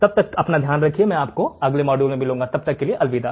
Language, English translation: Hindi, Till then take care, I will see you in the next module, bye